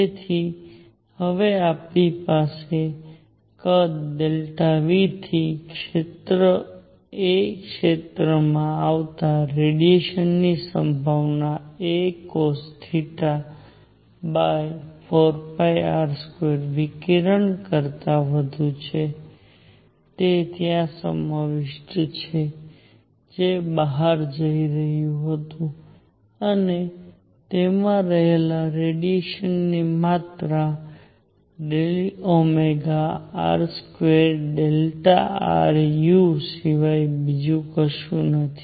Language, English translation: Gujarati, So, now we have the amount of radiation coming from volume delta V to area a is going to be probability a cosine theta divided by 4 pi r square times the radiation; that is contained there which is going out and amount of radiation contained there is nothing but d omega r square delta r u